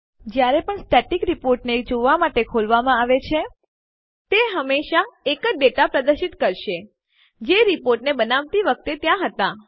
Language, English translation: Gujarati, Whenever a Static report is opened for viewing, it will always display the same data which was there at the time the report was created